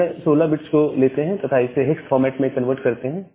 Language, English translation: Hindi, So, we take this 16 bits and convert it to a hex format